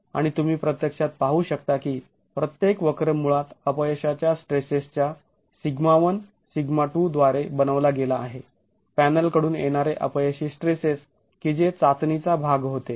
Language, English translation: Marathi, And you can actually see that each curve is made basically by the failure stresses, sigma 1, sigma 2 failure stresses from the panels of panels that were part of the test